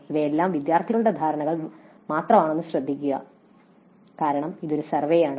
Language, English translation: Malayalam, Note that again all these are only student perceptions because it is a survey